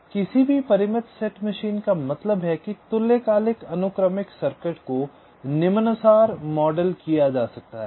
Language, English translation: Hindi, so any finite set machine that means ah synchronous sequential circuit can be modeled as follows